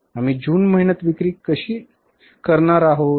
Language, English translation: Marathi, How much we are going to sell in the month of June